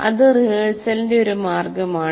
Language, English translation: Malayalam, That is one way of rehearsal